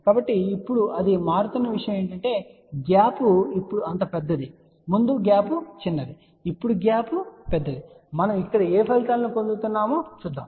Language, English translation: Telugu, So, only thing what it changes now is that the gap is now much larger earlier the gap was small now the gap is larger let us see what results we get here